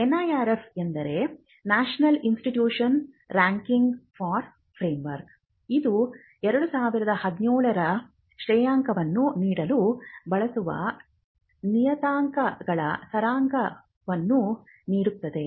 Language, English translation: Kannada, The NIRF refers to the National Institutional Ranking for Framework and this is the summary of the parameters the ranking parameters and weight ages in 2017